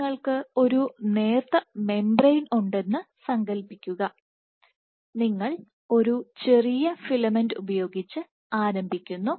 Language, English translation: Malayalam, So, imagine you have a thin membrane you be you start with a small filament and you have lots of dots lots